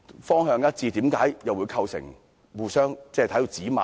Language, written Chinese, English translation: Cantonese, 方向一致的方案，為何會構成互相指罵？, How come a proposal based on a common direction has caused Members to rebuke one another?